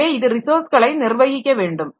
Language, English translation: Tamil, And they have to share resources also